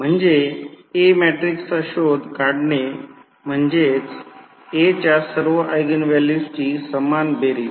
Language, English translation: Marathi, That means the trace of A matrix is the sum of all the eigenvalues of A